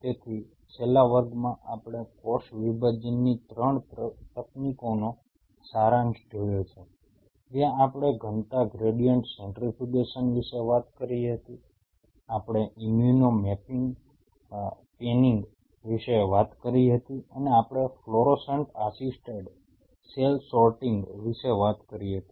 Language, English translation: Gujarati, So, in the last class we summarize the 3 techniques of cell separation, where we talked about density gradients centrifugation, we talked about immuno panning and we talked about fluorescent assisted cell sorting